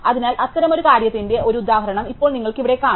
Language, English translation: Malayalam, So, now you can see here an example of such a thing